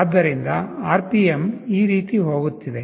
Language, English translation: Kannada, So, the RPM is going like this